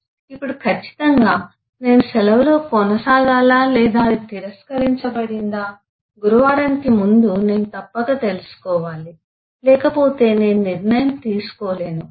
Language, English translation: Telugu, now, certainly, whether I get to proceed on leave or it is regretted, I must get to know it before thursday, otherwise I, I cannot take a decision